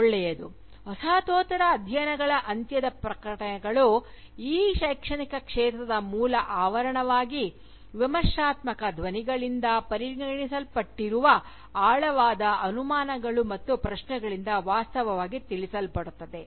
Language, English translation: Kannada, Well, announcements of the death of Postcolonial studies, are actually informed by deep seated doubts and questions regarding, what are considered by the Criticising voices, as the basic premises of this academic field